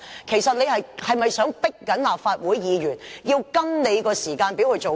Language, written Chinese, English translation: Cantonese, 其實，他是否在強迫立法會議員跟着他的時間表做事？, Is he actually trying to force Members of the Legislative Council to work according to his timetable?